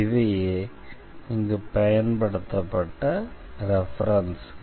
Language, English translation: Tamil, These are the references used here, and